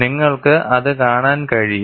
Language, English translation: Malayalam, That you can see